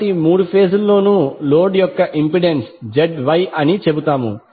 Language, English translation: Telugu, So we will say the impedance of the load is Z Y in all three phases